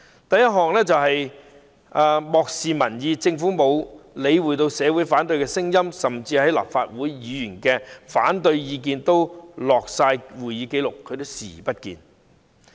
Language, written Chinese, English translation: Cantonese, 第一，漠視民意：政府沒理會社會上的反對聲音，就連立法會議員紀錄在案的反對意見也視而不見。, The first one is ignoring public opinions . The Government does not pay attention to the opposition voices in society . It even turns a blind eye to the opposition views of Legislative Council Members put on record